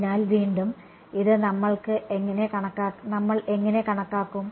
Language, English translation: Malayalam, So, again, how do we calculate this